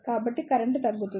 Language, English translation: Telugu, So, the current will reduce